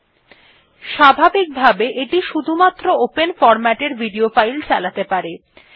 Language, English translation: Bengali, By default, it plays the open format video files only